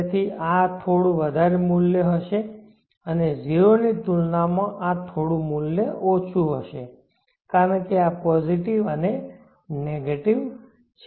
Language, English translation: Gujarati, 1 K so this will be slightly higher part value and this will eb slightly lower value compare to 0 because this is the positive and the negative